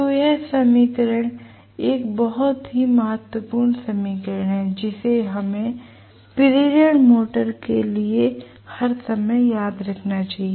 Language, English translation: Hindi, So, this equation is a very, very important equation which we should remember all the time for the induction motor